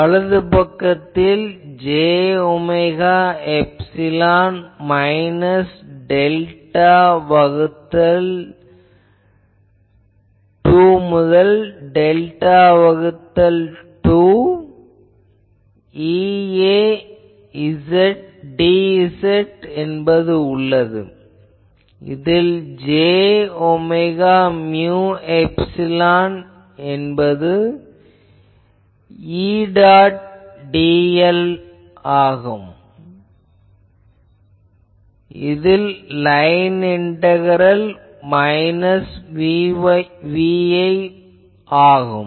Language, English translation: Tamil, Right hand side is j omega mu epsilon minus delta by 2 to delta by 2 E A dz what is that j omega mu epsilon into what is E dot dl this a line integral minus V i